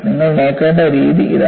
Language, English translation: Malayalam, This is the way you have to look at it